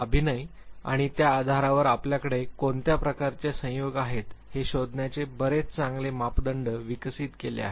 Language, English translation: Marathi, And acting and based on that it has developed very nice parameters of finding what type of combinations you have